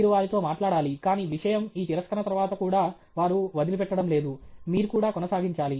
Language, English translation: Telugu, You have to talk to them, but the thing is even after this rejection and all that, they are not giving up; you should continue